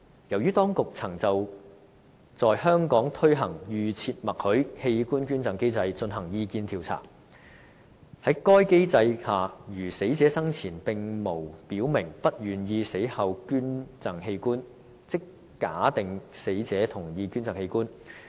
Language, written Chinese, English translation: Cantonese, 另外，當局曾就在香港推行"預設默許"器官捐贈機制，進行意見調查。在該機制下，如死者生前並無表明不願意死後捐贈器官，即假定死者同意捐贈器官。, On the other hand the authorities have conducted a survey on the opt - out system for organ donation in Hong Kong whereby the deceased is presumed to have agreed to organ donation unless he or she has indicated any preference of not donating hisher organs before his or her death